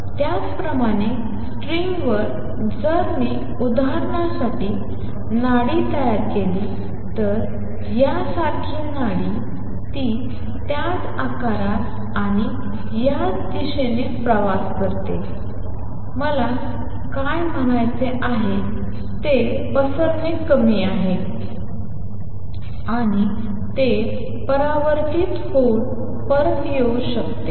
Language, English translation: Marathi, Similarly on a string, if I create a pulse for examples a pulse like this it travels down the same shape and this, what I mean it is dispersion less and that it may get reflected and come back